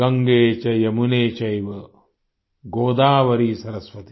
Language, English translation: Hindi, Gange cha yamune chaiva Godavari saraswati